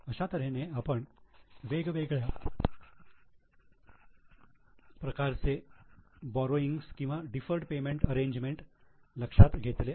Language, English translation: Marathi, So, we here consider the various types of borrowings or deferred payment arrangements